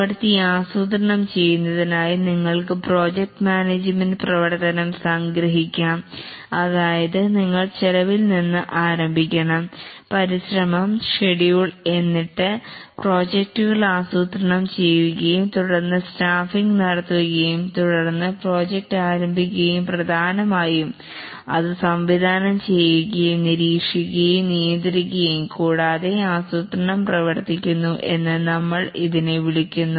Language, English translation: Malayalam, You can summarize the project management activity as planning the work, that is to start with, we must plan the cost, the effort, schedule, and then the project, and then do the staffing, and then the project starts, and largely it is directing and and monitoring and controlling and that we call as working the plan